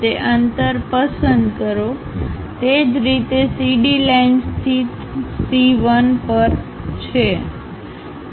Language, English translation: Gujarati, Pick that distance, similarly on CD line locate C 1